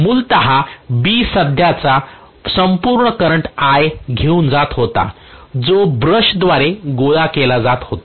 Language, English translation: Marathi, Originally B was carrying the current entire current I which was being collected by the brush